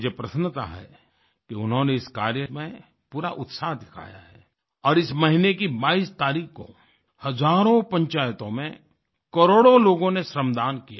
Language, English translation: Hindi, I am happy that they have shown exemplary enthusiasm on this front and on 22nd of this month crores of people contributed free labour, Shramdaanacross thousands of panchayats